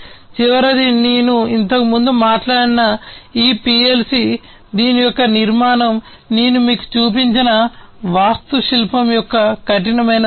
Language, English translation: Telugu, And the last one is this PLC that I talked about before, the architecture of which the rough sketch of the architecture of which I have shown you